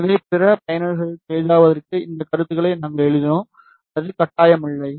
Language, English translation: Tamil, So, just to make it easy for other users we have written these comments it is not mandatory